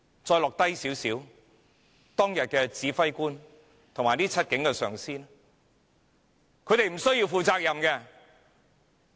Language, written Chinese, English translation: Cantonese, 再往下看，當日的指揮官及這7名警員的上司，他們無須負責任？, We should go deeper and ask Should not the commander of the operation on that day and the supervisors of the seven police officers bear any responsibility?